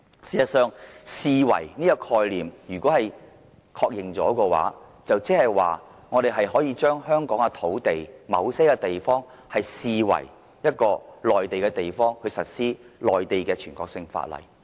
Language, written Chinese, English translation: Cantonese, 事實上，如果確認了"視為"這個概念的話，即代表我們可以把香港某些土地視為一個內地的地方，實施內地的全國性法律。, In fact acknowledging the concept of deemed as will mean that we may regard a certain area in Hong Kong as an area in the Mainland and apply national laws there